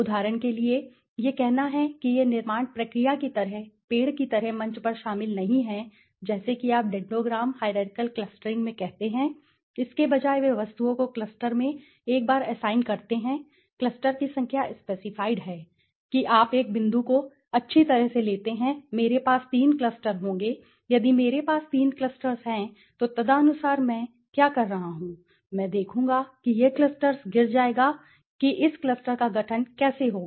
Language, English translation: Hindi, For example let say it does not involved at the stage like tree like construction process like you say in dendogram hierarchical clustering instead they assign the objects into clusters once the number of cluster is specified that means you take a point well I will have three clusters right so if I have three clusters then accordingly what I do is I will see this clusters will fall how will the formation of this clusters is happen now for example so it says assign each observation to one of the cluster seeds, for example, let say we have three clusters each clusters there is a starting point the starting point of the each cluster